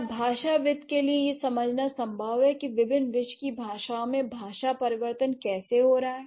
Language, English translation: Hindi, Is it possible for the linguists to find out a cross linguistic pattern how language change is happening in various worlds languages